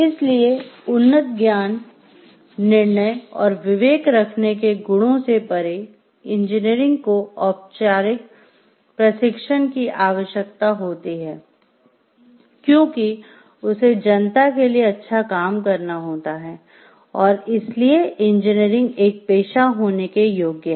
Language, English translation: Hindi, So, beyond the three qualities of having an advanced knowledge, then judgment and discretion, engineering requires formal training, engineering requires like, it is working for the public good and so, it qualifies to be a profession